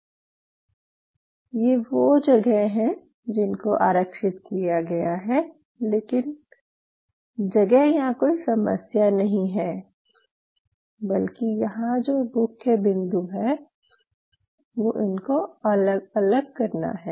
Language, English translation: Hindi, So, there are locations which are reserved now, but you have to location is not an issue is how you separate them out